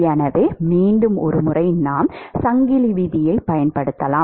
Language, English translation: Tamil, So, once again we can use chain rule